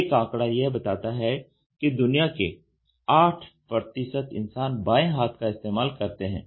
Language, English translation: Hindi, Today there is a statistics which says about 8 percent of the total world population are left handers